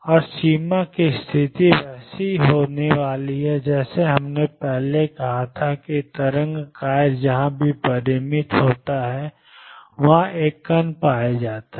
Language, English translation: Hindi, And the boundary condition is going to be as we said earlier that wave function wherever it is finite there is a particle is to be found there